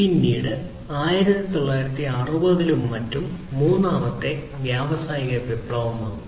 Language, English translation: Malayalam, Then came the third industrial revolution that was in the 1960s and so on